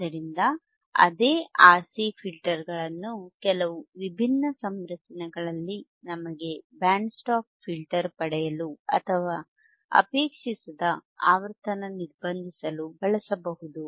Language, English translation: Kannada, So, same RC filters can be used in some different configurations to get us a band stop filter or attenuate the frequency that we do not desire all right